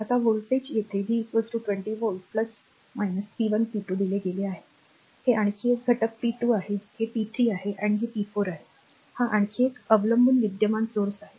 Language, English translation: Marathi, Now voltage is given v is equal to 20 volt plus minus p 1 p 2 here, this is another element p 2, this is p 3 and this is p 4, this is another dependent current source